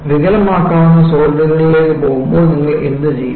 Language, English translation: Malayalam, When you go to deformable solids, what do you do